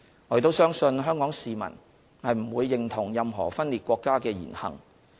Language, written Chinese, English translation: Cantonese, 我亦相信香港市民不會認同任何分裂國家的言行。, I also believe that Hong Kong people will not agree with any words and deeds of secession